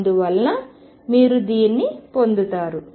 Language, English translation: Telugu, And therefore, you get this